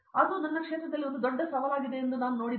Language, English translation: Kannada, So, I see that it’s a big challenge